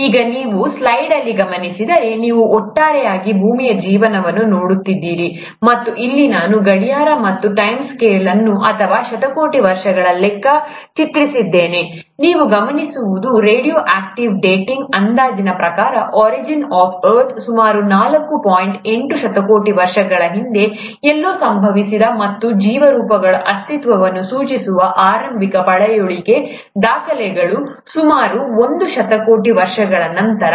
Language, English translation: Kannada, Now if you notice in the slide, if you were to look at the life of earth as a whole, and here I’ve drawn a clock and the time scale or in terms of billions of years, what you’ll notice is that the radio active dating estimates that the origin of earth happened somewhere close to four point eight billion years ago, and, the earliest fossil records which suggest existence of life forms is about a billion years later